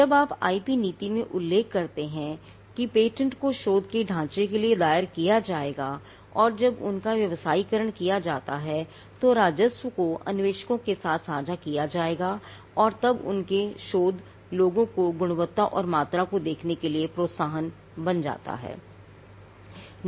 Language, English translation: Hindi, Now, when you mention in the IP policy that patents will be filed for trestles of research, and when they are commercialized the revenue will be shared with the inventors, then that itself becomes an incentive for people to look at the quality and the quantity of their research out